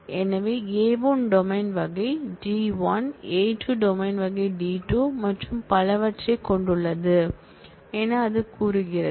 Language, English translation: Tamil, So, it says that A1 is of domain type D1, A2 is of domain type D2 and so on